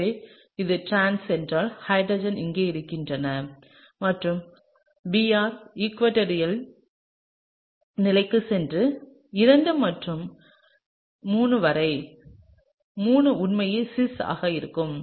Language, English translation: Tamil, So, if it is trans then the hydrogen becomes here and the Br goes into the equatorial position and between 2 and 3, the 3 is actually going to be cis